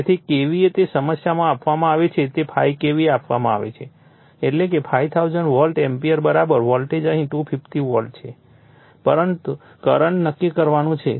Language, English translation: Gujarati, So, KVA it is given in the problem it is given 5 KVA; that means, 5000 volt ampere = voltage is 250 volt here and current you have to determine